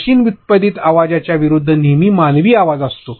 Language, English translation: Marathi, That always have a human voice as opposed to a machine generated voice